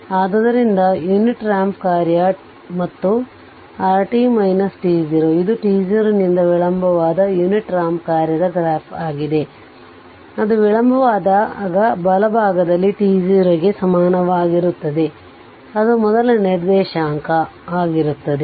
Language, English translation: Kannada, So, unit ramp function and this r t minus t 0, this is the plot of the your what you call unit ramp function delayed by t 0; that means, when it is delayed it will be t equal to t 0 on the right on side, that is with the first coordinate right